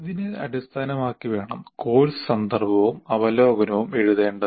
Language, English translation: Malayalam, Now, based on this, the course context and overview should be written